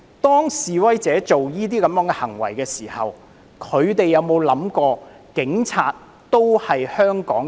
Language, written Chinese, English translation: Cantonese, 當示威者做出這些行為的時候，他們有否想過警察都是香港人？, When protesters made those acts did it ever occur to them that police officers were also Hongkongers?